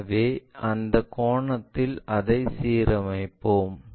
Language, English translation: Tamil, So, that angle we will align it